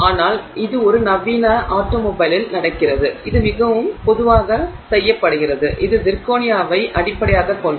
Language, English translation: Tamil, But this is what goes on in a modern automobile and this is fairly commonly done and it is based on zirconia